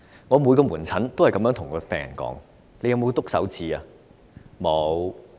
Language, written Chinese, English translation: Cantonese, 我在門診都問每一名病人："你有刺手指嗎？, I asked each patient in the clinic Have you pricked your finger?